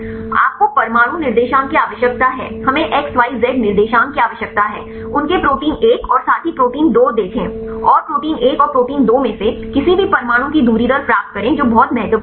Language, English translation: Hindi, You need the atom coordinates we need X, Y, Z coordinates, see their protein 1 and the partner protein 2 and get the distance rate of any atoms in protein 1 and protein 2 that is very important